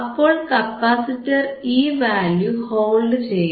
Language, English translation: Malayalam, So, capacitor will hold this value again